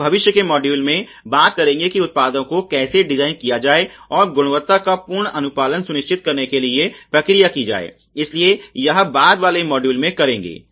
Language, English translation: Hindi, We will talk in the future modules about how to design the products and the process to ensure full compliance of the quality, so that will do in the subsequent module